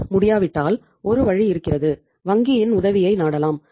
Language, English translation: Tamil, And if it is not possible then there is a way that we can take the help of the bank